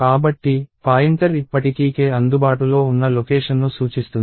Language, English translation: Telugu, So, if the pointer is still pointing to location at which k is available